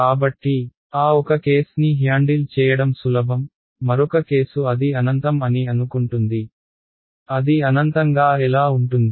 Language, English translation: Telugu, So, that is one case easy to handle, the other case is supposing it is infinite how can it be infinite